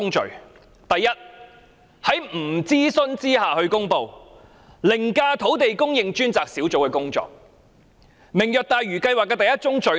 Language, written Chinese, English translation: Cantonese, 政府在未經諮詢下公布這項計劃，凌駕土地供應專責小組的工作，這便是"明日大嶼"的第一宗罪。, The Governments announcement of this project without consultation has overridden the work of the Task Force on Land Supply Task Force and this is the first sin of Lantau Tomorrow